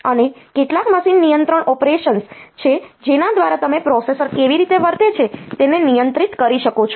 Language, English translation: Gujarati, And there are some machine control operations by which you can control the way this the processor behaves